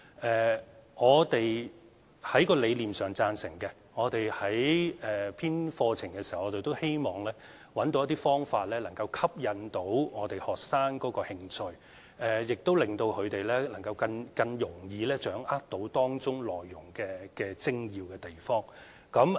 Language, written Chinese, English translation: Cantonese, 在理念上，當局是贊成的，我們編製課程的時候都希望找到一些方法，能夠吸引學生的興趣，亦令到他們更容易掌握當中內容的精要之處。, The authorities agree with her conceptually . When we are compiling the curriculum we also want to identify some methods to stimulate students interests so that they can grasp the key points of the themes more easily